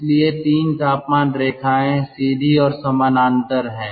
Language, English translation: Hindi, so three temperature lines are therefore straight lines and parallel